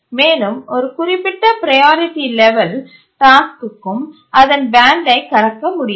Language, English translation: Tamil, And also a task at a certain priority level cannot cross its band